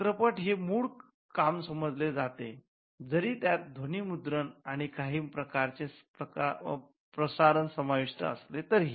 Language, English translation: Marathi, Films tend to be regarded as original works though they involve sound recording and some kind of broadcasting